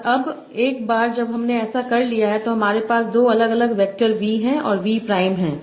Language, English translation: Hindi, And now once I have done that, I have two different vectors, v and v